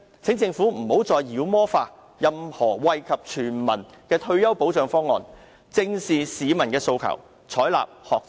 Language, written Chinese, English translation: Cantonese, 請政府不要再妖魔化任何惠及全民的退休保障方案，正視市民的訴求，採納學者方案。, The Government should cease demonizing any retirement protection proposal that benefits the entire society face up to the aspirations of the public and adopt the Scholar Proposal